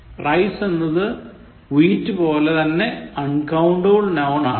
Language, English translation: Malayalam, Rice like wheat is uncountable